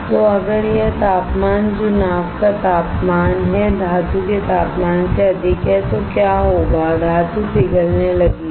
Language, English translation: Hindi, So, if this temperature which is the temperature of the boat is way higher than the temperature of metal, what will happen is the metal will start melting